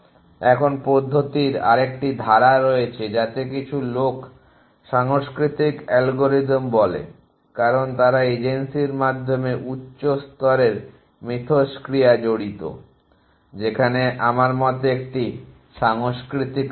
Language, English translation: Bengali, Now, there is the another clause of methods which some people call as cultural algorithms, because they involve high level interaction between the agency at what you my say is a cultural level